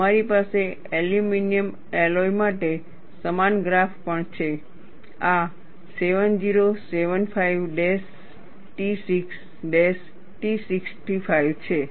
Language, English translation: Gujarati, And you also have a similar graph for an aluminum alloy; this is 7075t6t65